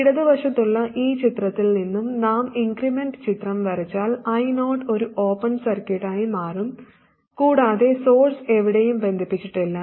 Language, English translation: Malayalam, If we draw the incremental picture from this picture on the left side, I 0 will become an open circuit and the source is not connected anywhere